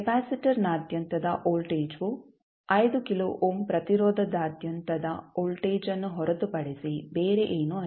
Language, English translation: Kannada, The voltage across capacitor is nothing but voltage across the 5 kilo ohm resistance